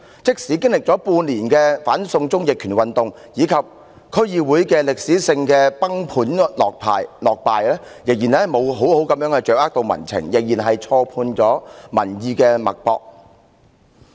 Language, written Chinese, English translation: Cantonese, 即使經歷了半年的"反送中"逆權運動及在區議會選舉中的歷史性崩盤落敗後，他們仍未有好好掌握民情，仍然錯判民意脈搏。, Even after six months of the anti - extradition to China movement protesting authoritarianism and an unprecedented landslide defeat in the District Council Election they still do not understand the concern of the public and still cannot feel the pulse of the public